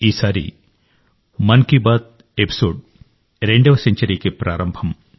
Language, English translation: Telugu, This time this episode of 'Mann Ki Baat' is the beginning of its 2nd century